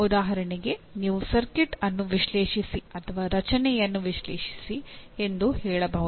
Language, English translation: Kannada, For example you can say analyze a circuit which is or analyze a structure